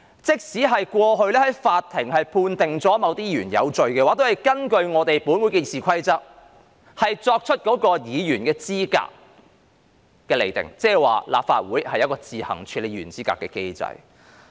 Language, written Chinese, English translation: Cantonese, 即使過去法庭曾判定某些議員有罪，但也要根據《議事規則》去釐定議員的資格，原因是立法會設有自行處理議員資格的機制。, Even if certain Members have been convicted by the court in the past the qualifications of these Members must be determined in accordance with the Rules of Procedure because the Legislative Council has a mechanism for handling the qualifications of Members on its own